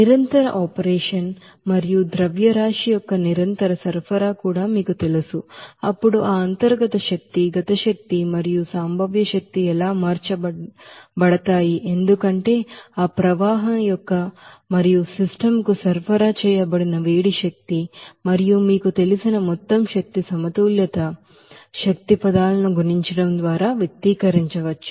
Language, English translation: Telugu, And based on that, you know continuous operation and also the continuous supply of mass, then how that internal energy, kinetic energy and also potential energy will be changed because of that flow wok and heat energy supplied to the system and that overall energy balance you know can be expressed based on that specific you know energy terms, just by multiplying that you know, the mass flow rate as a common factor in the common energy balance equation